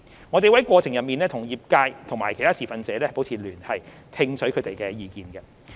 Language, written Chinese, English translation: Cantonese, 我們會在過程中與業界和其他持份者保持聯繫，聽取他們的意見。, We will maintain liaison with the industry and other stakeholders and listen to their views during the process